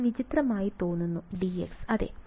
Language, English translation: Malayalam, This looks weird d x yeah ok